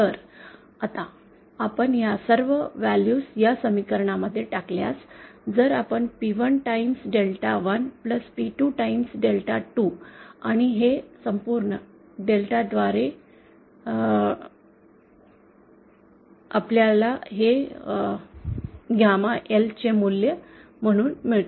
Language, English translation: Marathi, So, then now, putting all these values in this equation, if you multiply P1 Times Delta1 + P2 Times Delta 2 and this whole by delta, we get this as the value of gamma L